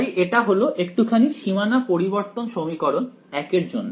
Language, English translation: Bengali, So, that is the small boundary modification for equation 1